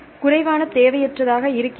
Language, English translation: Tamil, So, there should be less redundant